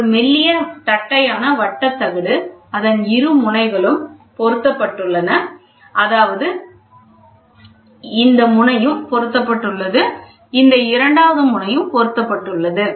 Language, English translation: Tamil, A thin flat circular plate fixed at both ends; this end this end is fixed and this end is fixed